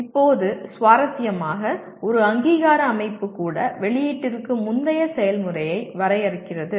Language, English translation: Tamil, Now interestingly even an accrediting organization put something like the process before the output